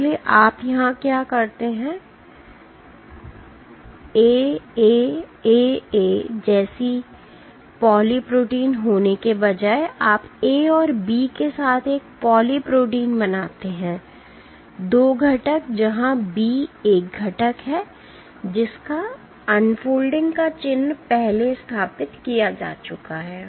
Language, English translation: Hindi, So, what you do here is instead of just having a poly protein like A A A A, you make a poly protein with A and B, 2 components where B is a component, whose unfolding signature has been previously established